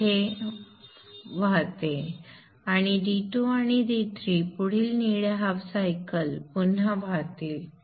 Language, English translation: Marathi, D2 and D3 it flows here and D2 and D3 it will again flow in the next blue half cycle